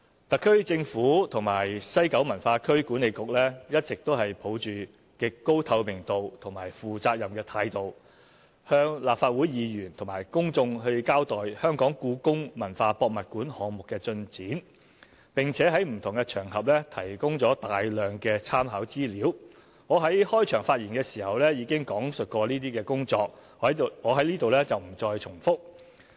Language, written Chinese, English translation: Cantonese, 特區政府和西九文化區管理局一直抱着極高透明度和負責任的態度向立法會議員和公眾交代香港故宮文化博物館項目的進展，並且在不同場合提供了大量參考資料，我在開場發言時已講述有關工作，在此不再重複。, The SAR Government and the West Kowloon Cultural District Authority WKCDA have all along explained the progress of the Hong Kong Palace Museum HKPM project to Members of the Legislative Council and the public in a most transparent and responsible manner and have provided a lot of reference material on various occasions . As I have described the relevant work in my opening speech I shall not repeat